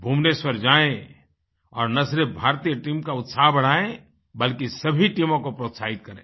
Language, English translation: Hindi, Go to Bhubaneshwar and cheer up the Indian team and also encourage each team there